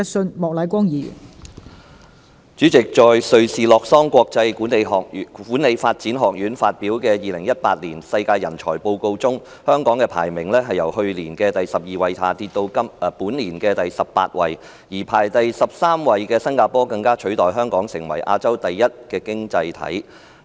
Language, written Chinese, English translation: Cantonese, 代理主席，在瑞士洛桑國際管理發展學院發表的《2018年世界人才報告》中，香港的排名由去年的第12位下跌至本年的第18位，而排第13位的新加坡更取代香港，成為亞洲第一的經濟體。, Deputy President in the World Talent Report 2018 published by the International Institute for Management Development in Lausanne of Switzerland Hong Kongs ranking has fallen from the 12 place of last year to the 18 of this year and Singapore which ranks the 13 has replaced Hong Kong as becoming the highest ranking economy in Asia